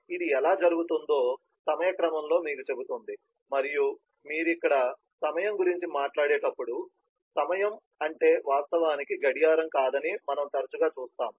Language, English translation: Telugu, so it tells you in the order of time how things happen and when you talk about time here, we will see often that the time is not actually a clock